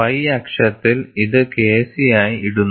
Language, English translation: Malayalam, On the y axis, it is just put as K c